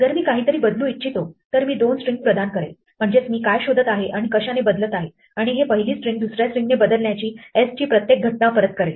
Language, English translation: Marathi, If I want to replace something I give it two strings what I am searching for and what I am replacing it with and it will return a copy of s with each occurrence of the first string replaced by the second string